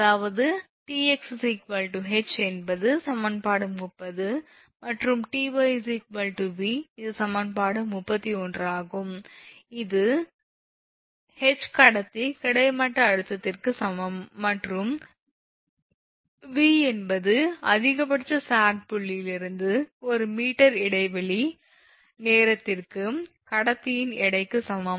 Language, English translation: Tamil, So, that means, the Tx is equal to H that is equation 30 and Ty is equal to V this is equation – 31, where H is equal to horizontal tension in conductor and V is equal to weight of conductor per meter of span times distance from point of maximum sag to support